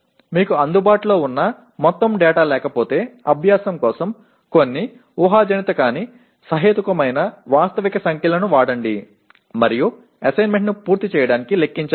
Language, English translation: Telugu, And just for exercise if you do not have all the data accessible to you, use some hypothetical but reasonably realistic numbers and to compute the, to complete the assignment